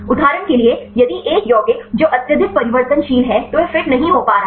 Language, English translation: Hindi, For example, if one of the compound which are highly variable then it is not able to fit